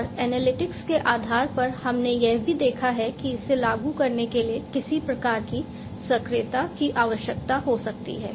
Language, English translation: Hindi, And based on the analytics we have also seen that some kind of actuation may be required to be implemented, right